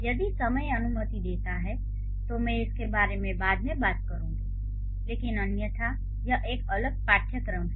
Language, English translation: Hindi, If time permits, I'll talk about it later but otherwise maybe it's a different course